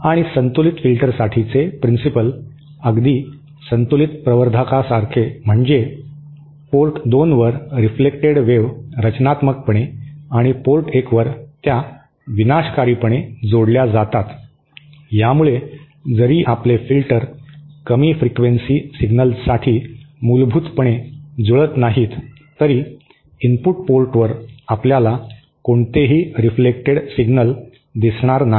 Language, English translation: Marathi, And the principal for balanced filter is exactly the same as that for a balanced amplifier, that is at port 2, the reflected wave add constructively add at port 1, the reflected wave add destructively as a result, even though our filter is fundamentally not matched for the low frequency signal, at the input port, we willnot see any reflected signals